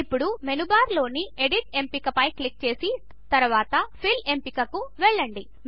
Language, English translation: Telugu, Click on the Edit option in the menu bar and then click on the Fill option